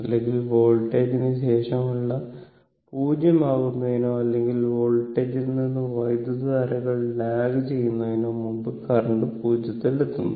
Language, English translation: Malayalam, Or current reaching to 0 before your what you call after your voltage becomes 0 or currents lags from the voltage